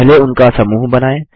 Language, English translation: Hindi, First lets group them